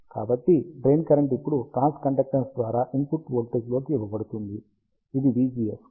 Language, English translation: Telugu, So, the drain current is now given by the transconductance into the input voltage, which is v gs